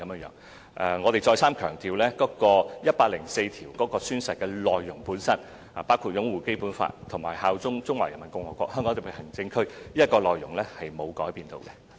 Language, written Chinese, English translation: Cantonese, 讓我再三強調，《基本法》第一百零四條的宣誓內容本身，包括擁護《基本法》及效忠中華人民共和國香港特別行政區的內容並沒有改變。, Let me stress again that the oath content per se under Article 104 of BL has not changed . The oath content encompasses upholding BL and swearing allegiance to HKSAR of PRC